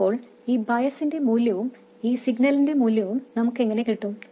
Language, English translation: Malayalam, So how did we have this value of bias and this value of signal